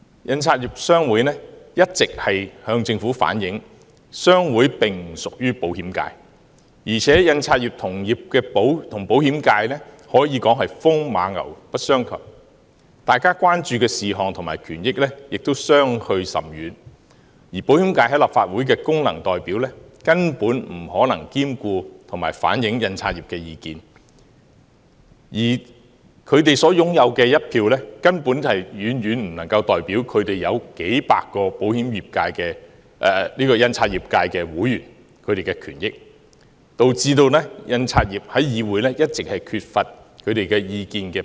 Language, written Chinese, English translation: Cantonese, 印刷業商會一直向政府反映，商會並不屬於保險界，而印刷業與保險界可以說是風馬牛不相及，大家關注的事項和權益亦相距甚遠，保險界在立法會的功能界別代表根本不可能兼顧及反映印刷業界的意見，而他們所擁有的一票根本遠遠不能代表數百名印刷業界會員的權益，導致印刷業界在議會一直缺乏表達意見的機會。, The publication sector is totally unrelated to the insurance sector and their concerns and interests are very different . The Insurance FC of the Legislative Council cannot incorporate and reflect the views of the printing industry at all and the single vote of HKPA can in no way represent the views of hundreds of practitioners of the printing industry . Thus the industry has been deprived of opportunities to express their views in the Legislative Council